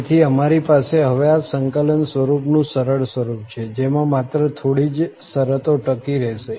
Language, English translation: Gujarati, So, we have rather simplified form of this integral now, which only the few terms will survive